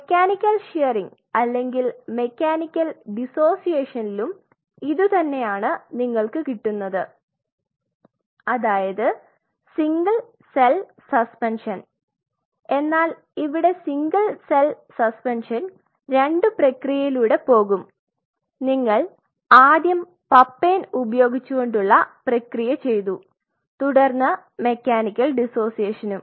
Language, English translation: Malayalam, If you do offer a mechanical shearing or mechanical dissociation what you obtain is again the same thing what we talked about here a single cell suspension, but the single cell suspension in this case goes through 2 processes you first did a papain processing followed by a mechanical dissociation